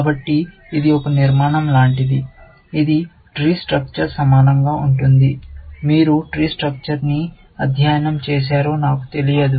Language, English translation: Telugu, So, it is like a structure, which is similar to the Trie structure; I do not know if you have studied the Trie structure